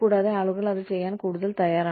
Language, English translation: Malayalam, And, people are increasingly willing, to do that